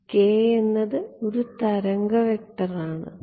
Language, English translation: Malayalam, k is a wave vector